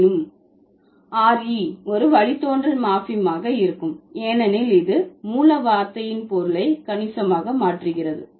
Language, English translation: Tamil, It doesn't change the category yet re would be a derivational morphem because it changes the meaning of the root word substantially